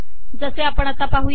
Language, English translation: Marathi, As we show now